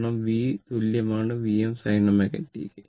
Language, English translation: Malayalam, Because, V is equal V m sin omega t